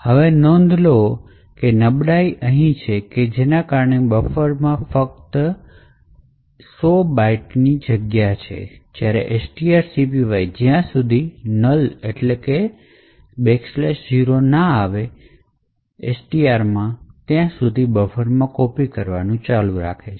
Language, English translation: Gujarati, Now note that the vulnerability occurs over here because buffer is of just 100 bytes while string copy would continue to copy into buffer until slash zero or a null character is obtained in STR